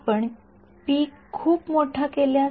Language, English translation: Marathi, If you make p very high